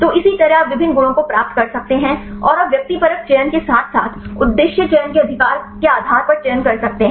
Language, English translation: Hindi, So, likewise you can derive various properties, and you can make the selection based on subjective selection as well as the objective selection right